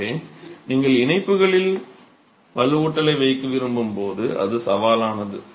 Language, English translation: Tamil, So, that's a challenge when you want to place reinforcement in the joints